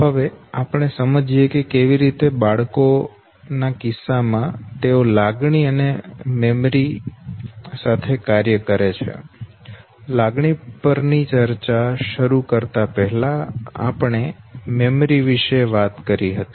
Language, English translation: Gujarati, Now let us understand how emotion and memory they work in the case of children, before starting our discussion on emotion we did talk about memory